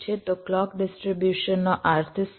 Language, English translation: Gujarati, so what do mean by clock distribution